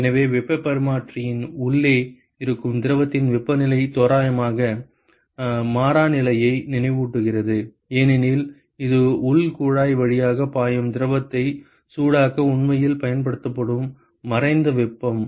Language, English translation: Tamil, So, the temperature of the fluid inside the heat exchanger will remind approximately constant, because it is the latent heat which is actually being used to heat up the fluid which is flowing through the internal tube ok